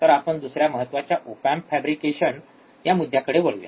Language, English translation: Marathi, So, let us move to the second point which is the op amp fabrication